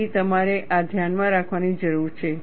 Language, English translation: Gujarati, So, we have to keep this in mind